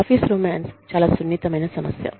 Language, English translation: Telugu, Office romance is a very sensitive issue